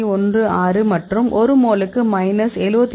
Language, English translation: Tamil, 16 and the energy of minus 71